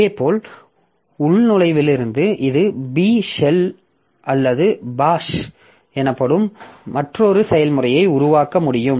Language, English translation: Tamil, Similarly from login it can create another process called B shell or bash